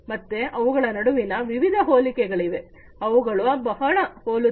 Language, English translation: Kannada, So, there are many different similarities they are very similar